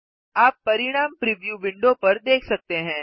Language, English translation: Hindi, You can see the result in the preview window